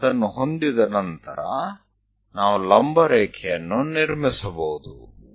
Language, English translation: Kannada, Once we have that, we can construct a perpendicular line